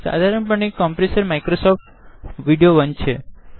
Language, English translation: Gujarati, By default the compressor is Microsoft Video 1